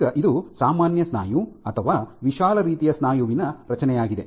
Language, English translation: Kannada, Now this is the structure of normal muscle or wide type muscle